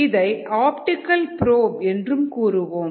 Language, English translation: Tamil, this is an optical probe, ah